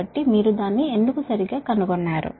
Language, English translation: Telugu, so why that you find it out, right